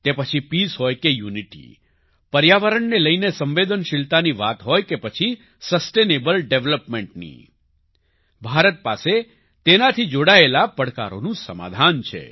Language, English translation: Gujarati, Whether it is peace or unity, sensitivity towards the environment, or sustainable development, India has solutions to challenges related to these